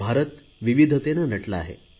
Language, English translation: Marathi, India is land of diversities